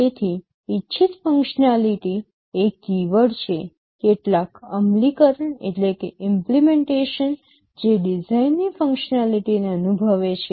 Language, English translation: Gujarati, So, desired functionality is the keyword, some implementation that realizes the design functionality